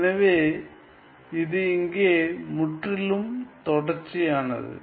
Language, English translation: Tamil, So, it is absolutely continuous here ok